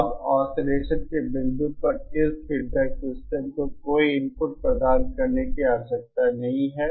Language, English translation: Hindi, Now at the point of oscillation, no input needs to be provided to this feedback system